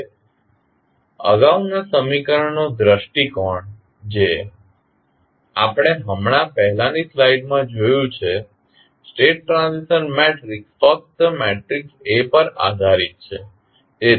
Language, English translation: Gujarati, Now, view of previous equation which we have just see in the previous slide the state transition matrix is dependent only upon the matrix A